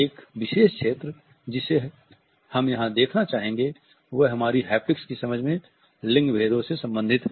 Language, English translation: Hindi, A particular area which I want to touch upon is related with gender differences as far as our understanding of haptics is concerned